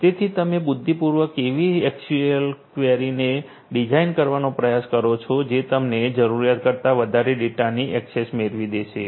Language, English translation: Gujarati, So, you know intelligently you try to design your you know your SQL queries in such a way that you get access to data beyond what you are supposed to get